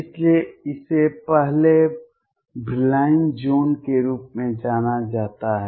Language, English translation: Hindi, So, this is known as the first Brillouin zone